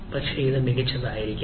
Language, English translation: Malayalam, ah, it is likely to be better